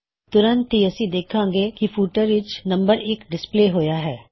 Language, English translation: Punjabi, Immediately, we see that the number 1 is displayed in the footer